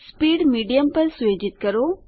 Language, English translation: Gujarati, Set speed at Medium